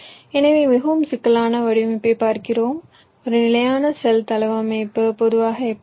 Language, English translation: Tamil, right, fine, so lets look at a more complex design, how a standard cell layout typically looks like